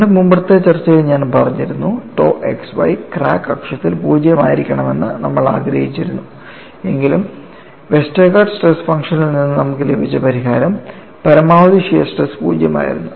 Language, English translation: Malayalam, But I had emphasized in our earlier discussion, though we wanted tau xy to be 0 along the crack axis, without our emphasize, the solution what we got from Westergaard stress function was the maximum shear stress was also 0